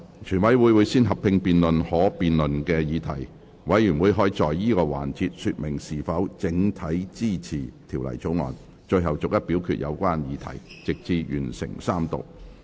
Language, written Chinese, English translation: Cantonese, 全委會先合併辯論可辯論的議題，委員可在此環節說明是否整體支持《條例草案》，最後逐一表決有關議題，直至完成三讀。, Committee will first conduct a joint debate on the debatable questions . In this session Members may indicate whether they support the Bill as a whole . Finally the relevant questions will be put to vote seriatim until Third Reading is completed